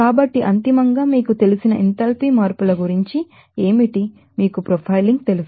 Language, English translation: Telugu, So, ultimately, what about enthalpy changes for you know that, you know profiling